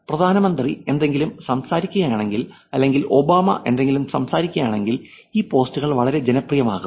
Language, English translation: Malayalam, Let us take the prime minister was talking about it, if it was Obama who is talking about something these posts become very popular